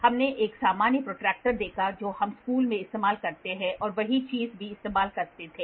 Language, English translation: Hindi, Then we saw a normal protractor what we used in school and a same thing also used